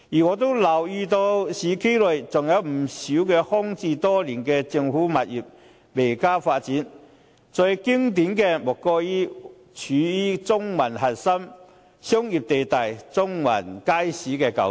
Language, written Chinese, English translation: Cantonese, 我也留意到市區內仍有不少空置多年的政府物業未獲發展，最經典的莫過於位處中環核心商業地帶的中環街市舊址。, I have also noted that quite many government properties in the urban areas are still left vacated for years but have yet to be developed . The most classic example must be the old site of the Central Market which is situated at the core commercial zone in Central